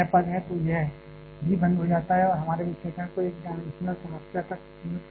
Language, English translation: Hindi, So, this one also goes off and limiting our analysis to a one dimensional problem